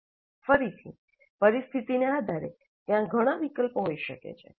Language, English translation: Gujarati, Again, depending upon the situation, there can be several options